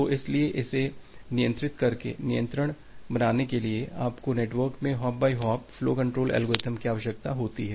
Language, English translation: Hindi, So, that is why to make it control to have a control, you need hop by hop flow control mechanism in the network